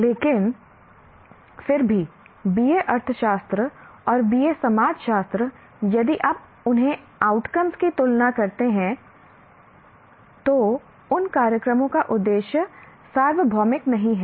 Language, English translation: Hindi, But even then, the BA economics and BA sociology, if you compare them, the outcomes, the aims of those programs are not that universal